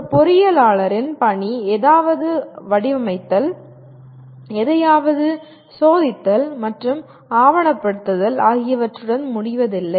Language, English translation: Tamil, An engineer’s work does not end with designing something, testing something and documenting it